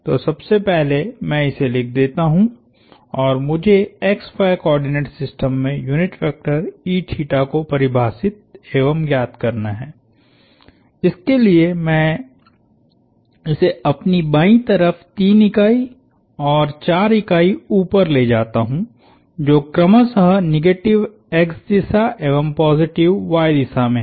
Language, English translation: Hindi, And e theta is given by, I have to get, to define the unit vector e theta in the xy coordinate system, I have to walk 3 units to my left which is in the negative x direction and 4 units up which is in the positive y direction